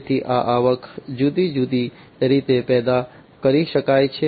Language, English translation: Gujarati, So, these revenues could be generated in different ways